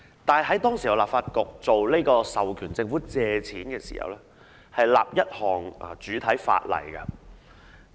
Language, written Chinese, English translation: Cantonese, 然而，當時立法局在授權政府借款時，會訂立主體法例。, Nevertheless the Legislative Council would make primary legislation when authorizing the government to make borrowings at that time